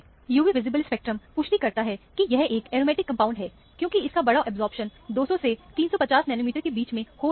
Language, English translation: Hindi, The UV visible spectrum confirms that, it is an aromatic compound, because of the large absorption that is happening between 200 to 350 nanometer